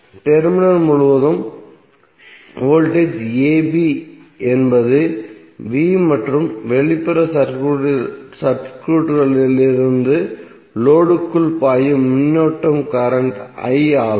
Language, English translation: Tamil, So voltage across terminal a b is V and current flowing into the load from the external circuit is current I